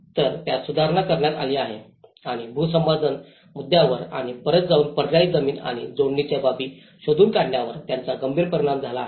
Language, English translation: Marathi, So it has been amended and this has implication has a serious implication on the land acquisition issues and going back and finding an alternative piece of land and the connectivity aspects